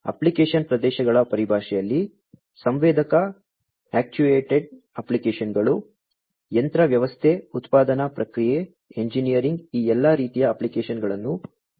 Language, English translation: Kannada, So, in terms of application areas sensor actuated applications machine system production process engineering all these sorts of applications are supported